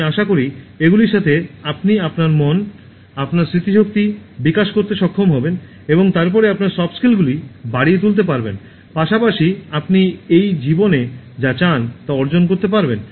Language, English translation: Bengali, I hope with these ones, you will be able to develop your mind, your memory and then enhance your Soft Skills, as well as achieve whatever you want in this life